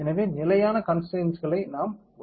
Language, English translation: Tamil, So, we are assign the fixed constraints, correct